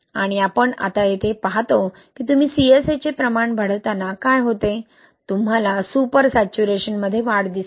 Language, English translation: Marathi, And we see here now that what happens as you increase the amounts of CSA, you see the increase in super saturation